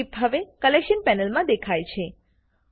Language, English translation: Gujarati, The clip now appears in the Collection panel